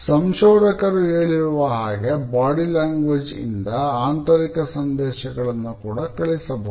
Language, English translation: Kannada, However, scientific researchers have now claimed that our body language also sends internal messages